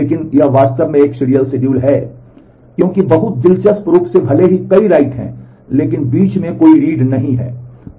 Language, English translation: Hindi, But this actually is a serial schedule, because very interestingly even though there are multiple writes, but in between there are no reads